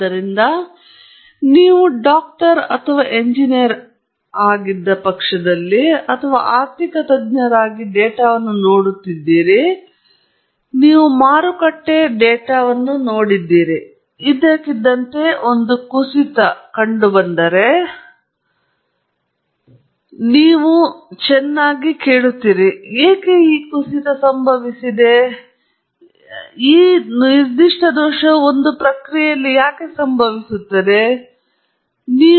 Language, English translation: Kannada, So, you have looked at the data either as a doctor or as an engineer or even as an econometrist and you looked at market data, and suddenly there has been a crash, and you are asking well – why did this crash occur or why did a particular fault occur in a process and so on